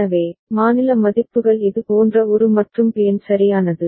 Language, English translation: Tamil, So, state values are like this An and Bn right